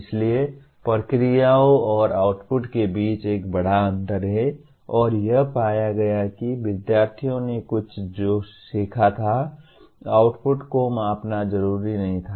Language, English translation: Hindi, So there is a large gap between processes and outputs and it was found the outputs did not necessarily measure what the students learnt